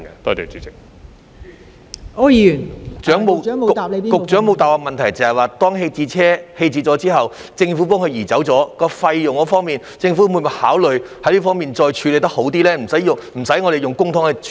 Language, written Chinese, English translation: Cantonese, 局長沒有回答我的補充質詢的部分是，當政府移走棄置車輛後，在承擔費用方面，政府會否考慮作出更好的處理，不需要我們用公帑來處理。, The part of my supplementary question which the Secretary has not answered is whether the Government will after its removal of the abandoned vehicle consider making a better arrangement in terms of bearing the expenses so that we do not need to spend public money on disposing of it